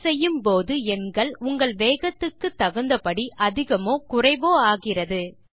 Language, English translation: Tamil, As you type, the number increases or decreases based on the speed of your typing